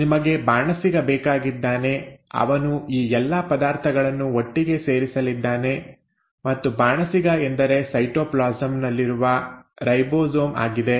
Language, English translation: Kannada, You need the chef is going to put in all these ingredients together and the chef is nothing but the ribosomes which are present in the cytoplasm